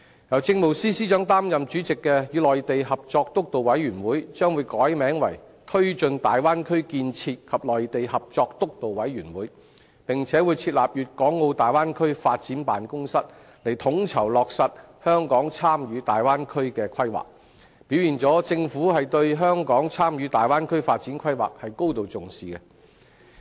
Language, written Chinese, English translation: Cantonese, 由政務司司長擔任主席的與內地合作督導委員會將會改名為推進大灣區建設及內地合作督導委員會，並會設立粵港澳大灣區發展辦公室以統籌落實香港參與大灣區的規劃，表現了政府對香港參與大灣區發展規劃是高度重視的。, The Steering Committee on Co - operation with the Mainland chaired by the Chief Secretary for Administration will be renamed as the Steering Committee on Taking Forward Bay Area Development and Mainland Co - operation and a Guangdong - Hong Kong - Macao Bay Area Development Office will be set up to coordinate Hong Kongs participation in the Bay Area planning . This shows that the Government has attached great importance to Hong Kongs participation in the planning